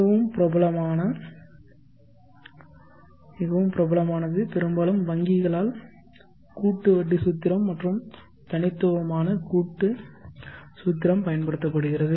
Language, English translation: Tamil, Most popular used mostly by the banks would be the compound interest formula and the discrete compounding formula